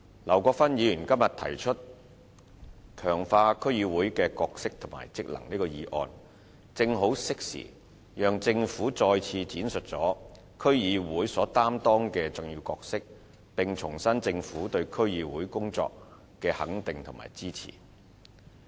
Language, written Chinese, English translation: Cantonese, 劉國勳議員今天提出"強化區議會的角色及職能"這項議案，正好適時讓政府再次闡述區議會所擔當的重要角色，並重申政府對區議會工作的肯定和支持。, The motion Strengthening the role and functions of District Councils proposed by Mr LAU Kwok - fan today offers a timely opportunity for the Government to elaborate once again on the important role played by DCs and reiterate the Governments recognition and support for the work of DCs